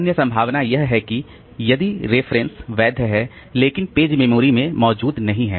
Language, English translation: Hindi, Other possibility is that the reference is valid but the page is not present in the memory